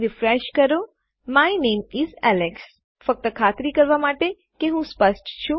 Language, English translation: Gujarati, Refresh it, there you go, my name is Alex Just to make sure that Im clear